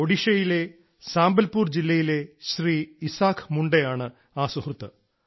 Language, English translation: Malayalam, This friend Shriman Isaak Munda ji hails from a village in Sambalpur district of Odisha